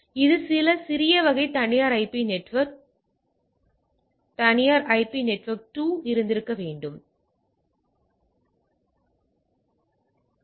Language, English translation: Tamil, So, this will be this there is some again small type of there should have been private IP network 1 private IP network 2, so, that it access